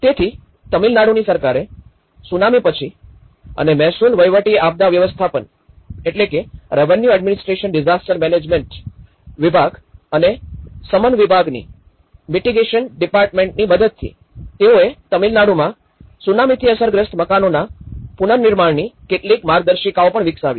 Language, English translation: Gujarati, So, after the Tsunami, government of Tamil Nadu and with the help of Revenue Administration Disaster Management and Mitigation Department, they have also developed certain guidelines of reconstruction of houses affected by tsunami in Tamil Nadu